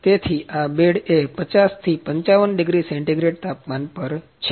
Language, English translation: Gujarati, So, this bed is at the temperature of 50 to 55 degree centigrade